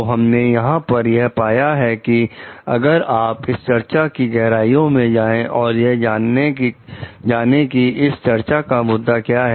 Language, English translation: Hindi, So, what we find over here if you go to the in depth of the discussion of this, issue which has been stated over here